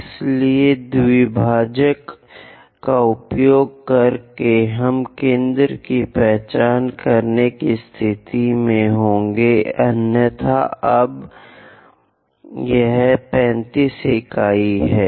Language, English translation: Hindi, So, by using bisector, we will be in a position to really identify center; otherwise now it is a 35 units